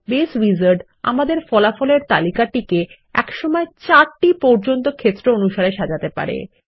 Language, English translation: Bengali, The Base Wizard, allows us to sort upto 4 fields in the result list at a time